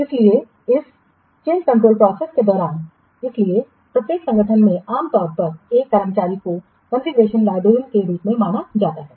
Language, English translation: Hindi, So, during this change control process, so in every organization normally one stop with there known as the configuration librarian